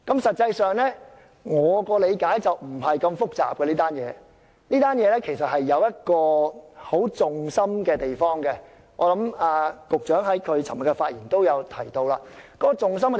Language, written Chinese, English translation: Cantonese, 實際上，據我理解，這並非很複雜的事情，當中其實有一個核心之處，而局長在他昨天的發言也提到這一點。, In fact to my understanding this is not that complicated . There is one core issue and the Secretary mentioned this in his speech yesterday